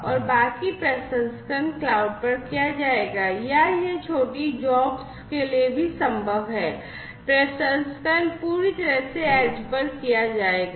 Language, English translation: Hindi, And the rest of the processing will be done at the cloud or it is also possible for small jobs, the processing will be done completely at the edge